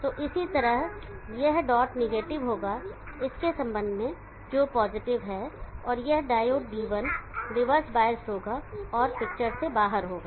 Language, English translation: Hindi, So likewise here this got will be negative with respect of this which is positive and this diode D1 will be reverse bias on out of the picture